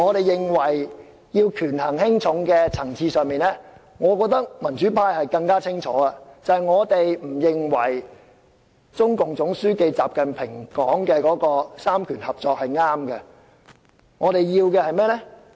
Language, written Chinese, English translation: Cantonese, 在權衡輕重的層次上，我認為民主派更清楚，我們不認為中共總書記習近平說的"三權合作"是正確的。, Regarding the question of priority at this level I think the pro - democrats have a clearer stance . We do not consider the idea of cooperation of powers put forward by XI Jinping to be correct